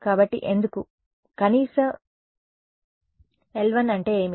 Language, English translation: Telugu, So, why; so, minimum l 1 means what